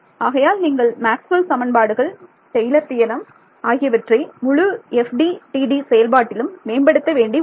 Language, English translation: Tamil, So, Maxwell’s equations Taylor’s theorem this is all that you need to develop the entire FDTD method